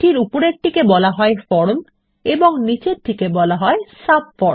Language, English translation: Bengali, The one above is called the form and the one below is called the subform